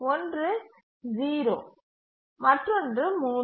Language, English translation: Tamil, 1 to 5, which is 0